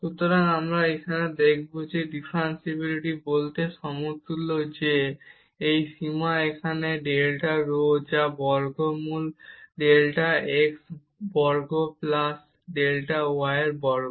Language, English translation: Bengali, So, here we will now show that this differentiability is equivalent to saying that this limit here delta rho which is square root delta x square plus delta y square